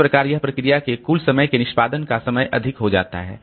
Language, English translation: Hindi, So that makes the total time, total execution time of this process significantly high